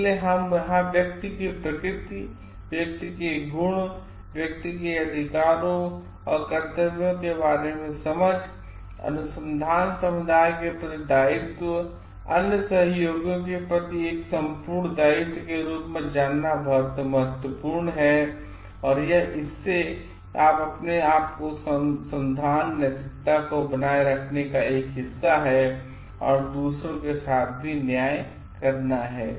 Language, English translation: Hindi, So, what we have find over here the nature of the person, the virtues of the person, the person's understanding of the rights and duties, obligation to the research community as a whole, obligation to the other collaborators as a whole is very important as a part of maintaining research ethics and being just to oneself and doing justice to others also